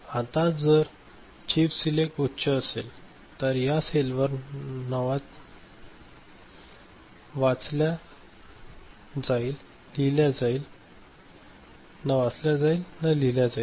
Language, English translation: Marathi, Now, if chip select is high, if chip select is high then the cell is neither read nor written in ok